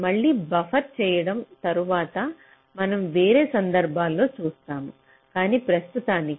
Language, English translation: Telugu, buffering again, we shall see later in a different context, but for the time being, thank you